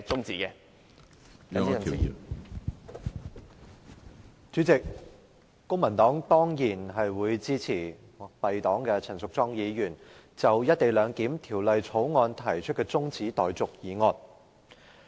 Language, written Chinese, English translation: Cantonese, 主席，公民黨當然會支持敝黨的陳淑莊議員就《廣深港高鐵條例草案》提出的中止待續議案。, President the Civic Party will certainly support the adjournment motion moved by our party member Ms Tanya CHAN in respect of the Guangzhou - Shenzhen - Hong Kong Express Rail Link Co - location Bill the Bill